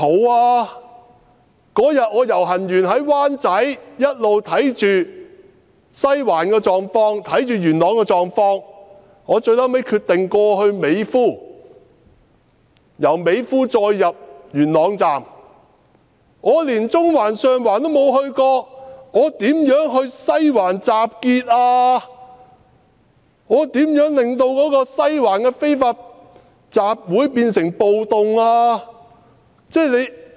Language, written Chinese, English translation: Cantonese, 我當天遊行之後，在灣仔一直留意西環和元朗的狀況，我最後決定由美孚入元朗站，我連中環、上環都沒有到過，如何在西環集結，又如何令西環的非法集會變成暴動？, After the march on that day I stayed in Wai Chai but I had been keeping in view the situations in the Western District and Yuen Long . Finally I decided to go from Mei Foo to Yuen Long Station . I had not even been to Central and Sheung Wan